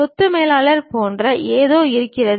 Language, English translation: Tamil, There is something like property manager also